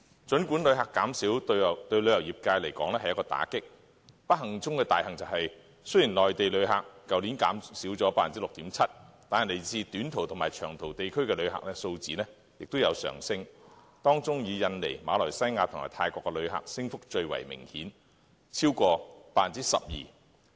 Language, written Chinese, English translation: Cantonese, 儘管旅客減少對旅遊業界來說是一個打擊，但不幸中的大幸是，雖然內地旅客較去年減少了 6.7%， 但來自短途及長途地區的旅客數字均有上升，當中以印尼、馬來西亞及泰國的旅客升幅最為明顯，超過 12%。, The reduction of tourists has really dealt a blow to the tourism industry fortunately even though the number of Mainland visitor arrivals has dropped by 6.7 % compared to last year arrivals from both short - haul and long - haul markets have increased; visitors from Indonesia Malaysia and Thailand have attained an impressive increase of over 12 %